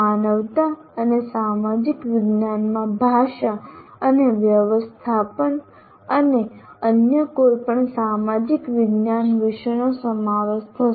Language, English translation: Gujarati, This will include language and including management and any other social science subject